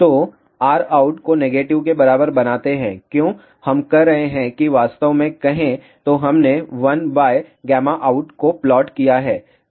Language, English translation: Hindi, So, make R out equal to negative why we are doing that actually speaking we are plotted 1 by gamma out